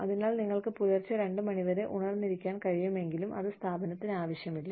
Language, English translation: Malayalam, So, even if you are able to stay awake, till maybe 2 am, it is of no value, to the organization